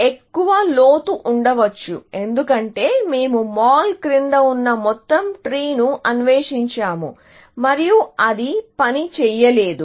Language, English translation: Telugu, There could be a greater depth, because we have explored the entire tree below mall, and it did not work